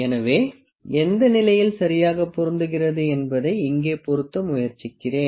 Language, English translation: Tamil, So, let me try to fit which of the leaf is fitting properly here